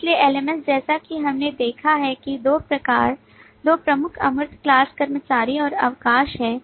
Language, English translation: Hindi, So if we just refer to our LMS example, So LMS, as we have seen, have two major abstract classes: employee and leave